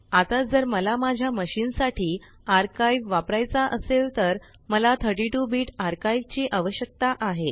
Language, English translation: Marathi, Now if I want to use the archive, for my machine, I need 32 Bit archive